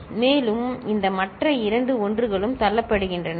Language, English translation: Tamil, And these other two 1s are getting pushed, ok